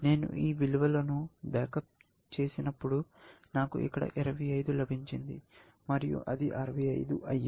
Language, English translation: Telugu, When I back up these values, I got 25 here, and that became 65